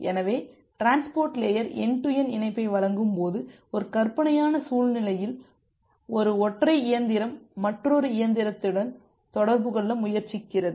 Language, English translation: Tamil, So now when the transport layer is providing you the end to end connectivity, it may happen in a hypothetical scenario that there are say one single machine which is trying to communicate with another machine